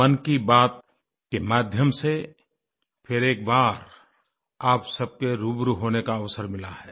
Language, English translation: Hindi, Through 'Mann Ki Baat', I once again have been blessed with the opportunity to be facetoface with you